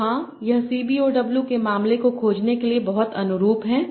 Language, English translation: Hindi, So yeah, this is very analogous to what we saw in the case of CBOW